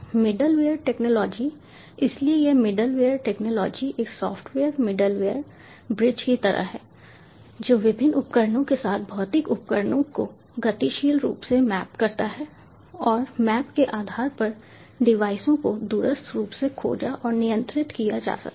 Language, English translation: Hindi, so this middleware technology is sort of like a software middleware bridge which dynamically maps the physical devices with the different domains and based on the map, the devices can be discovered and controlled remotely